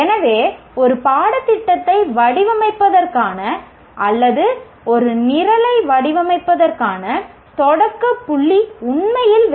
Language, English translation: Tamil, So the starting point, either for designing a course or designing a program are really the outcomes